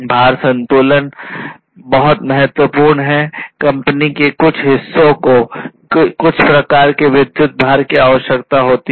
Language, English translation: Hindi, Load balancing means like you know certain parts of the company might require or the factory might require certain types of load electric load